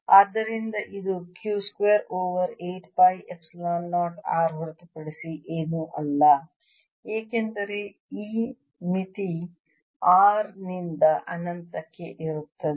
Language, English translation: Kannada, so this is nothing but q square over eight pi epsilon zero r, because this limit is from r to infinity